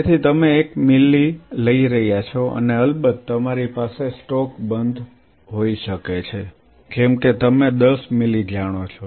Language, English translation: Gujarati, So, you are taking one ml and of course, you may have a stock off like you know 10 ml